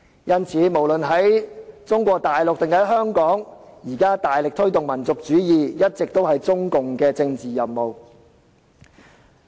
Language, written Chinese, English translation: Cantonese, 因此，在中國大陸或香港大力推動民族主義，一直以來都是中共的政治任務。, Therefore the vigorous promotion of nationalism in Mainland China or Hong Kong has always been a political task of CPC